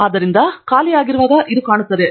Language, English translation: Kannada, So when it is empty it looks like this